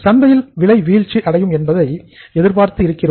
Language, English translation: Tamil, We see that the prices are expected to fall down in the market